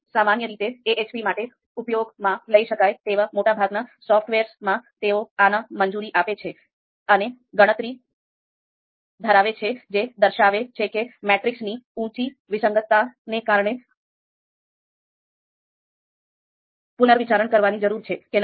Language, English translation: Gujarati, So typically you know most of the software that can be used for AHP, they allow this, they have this calculation and it will actually indicate whether a matrix needs to be reconsidered due to its high inconsistency